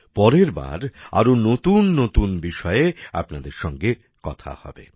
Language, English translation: Bengali, Next time we will meet again with new topics